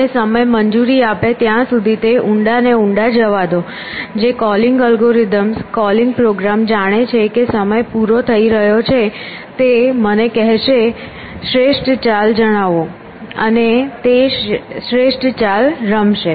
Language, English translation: Gujarati, And let it go deeper and deeper as long as time allows suddenly if the calling algorithm calling program knows that time is running out will say tell me the best move, and it will play the best move